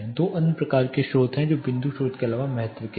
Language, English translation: Hindi, There are two types of other sources which are of importance apart from point source